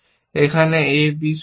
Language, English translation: Bengali, On a b is also true